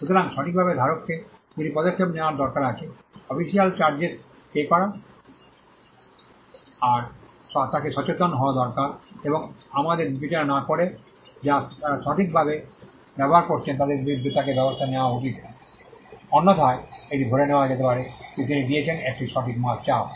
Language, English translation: Bengali, So, there are 2 things the right holder needs to do 1 pay the official charges 2 he needs to be vigilant, and he needs to take action against people who are using the right without us consider, otherwise it could be assumed that he has given a pressure right